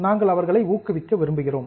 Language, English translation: Tamil, We want to incentivize them